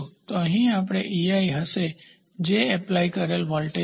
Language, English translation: Gujarati, So, here we will have e i which is an applied voltage